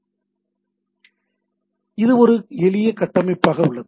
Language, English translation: Tamil, So, its as a simple structure